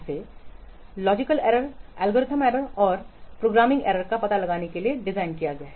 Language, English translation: Hindi, It is designed or it is targeted to detect logical errors, algorithmic errors and programming errors